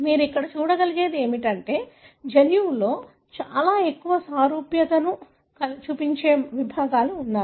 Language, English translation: Telugu, What you can see here is that there are segments in the genome that show very high similarity